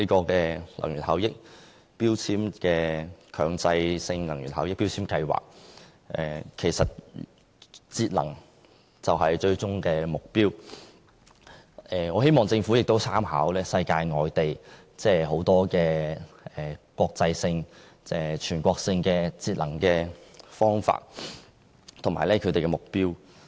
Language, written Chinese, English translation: Cantonese, 既然強制性標籤計劃的最終目標是節能，我希望政府可參考世界各地的國際性或全國性節能方法和目標。, As energy saving is the ultimate goal of MEELS I hope the Government will learn from overseas experience by drawing reference to international or national practices and targets